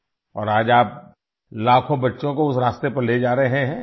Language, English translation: Urdu, And today you are taking millions of children on that path